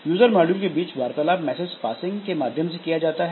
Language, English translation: Hindi, Communication takes place between user modules using message passing